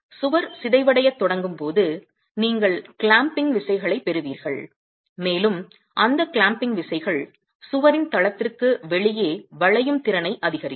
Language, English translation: Tamil, As the wall starts deforming you will get clamping forces coming in and those clamping forces will augment the out of plane capacity of the wall